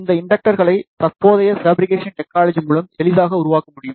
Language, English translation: Tamil, These inductors can be easily fabricated by the current fabrication technology